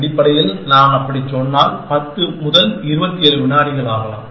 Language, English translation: Tamil, Essentially, if I say that, it takes 10 is to 27 let say seconds